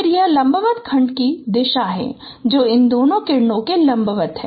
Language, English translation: Hindi, Then this is the direction of the perpendicular segment which is perpendicular to both of these rays